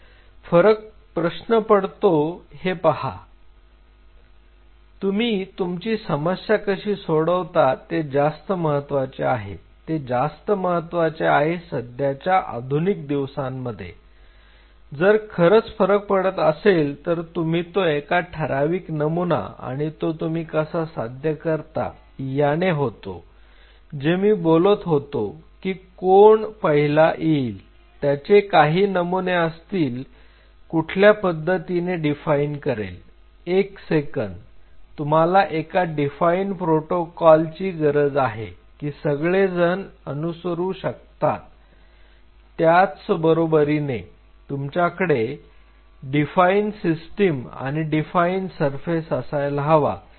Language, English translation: Marathi, What it matters is how you target the problem that is the most critically important things and in a modern day if you really want to make a difference and you have to have a proper paradigm to do achieve this how you are going to do it in terms of paradigm this is what I am talking about that who will come first what will be their paradigm this paradigm has to be defined one second you need a defined protocol so that everybody can follow then you have to have a defined medium, then you have to have a defined surface